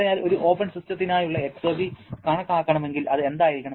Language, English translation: Malayalam, So, if we want to calculate the exergy for open system then what it will be